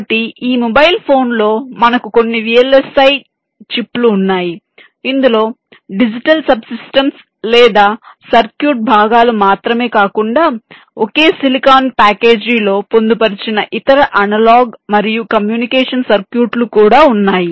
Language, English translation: Telugu, l s i chip which contains not only the digital sub systems or circuit components but also other analog and communication circuitry embedded in a single silicon package